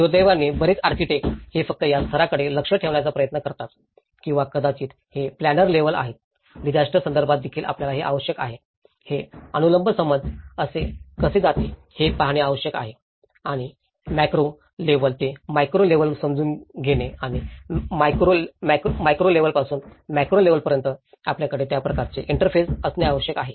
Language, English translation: Marathi, Unfortunately, many of the architects, they try to orient only this level or maybe it a planners level, we also need to in a disaster context, we need to see how this vertical understanding goes and inform the macro level understanding to the micro level understanding and the micro level to the macro level so, we need to have that kind of interface